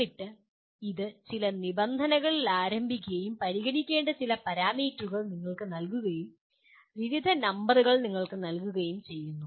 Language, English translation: Malayalam, And then it starts at some conditions and there are certain parameters of concern are given to you, various numbers are given to you